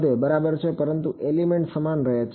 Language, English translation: Gujarati, Increases ok, but the element stays the same